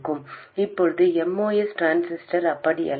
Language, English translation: Tamil, Now a mouse transistor is not like that